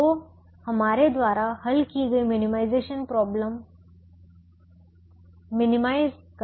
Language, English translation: Hindi, so the minimization problem that we solve minimizes